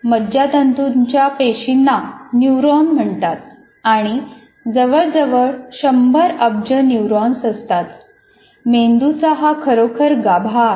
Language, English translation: Marathi, Nerve cells are called neurons and represent about, there are about 100 billion neurons